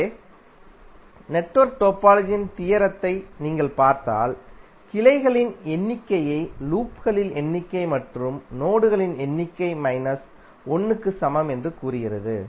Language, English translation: Tamil, So if you see the theorem of network topology it says that the number of branches are equal to number of loops plus number of nodes minus 1